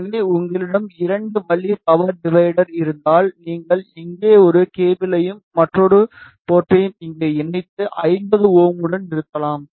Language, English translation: Tamil, So, if you have 2 way power divider, you simply connect one cable here and another port over here and then terminate this with 50 ohm